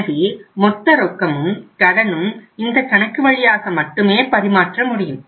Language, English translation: Tamil, Your total cash and the credit will be routed through this account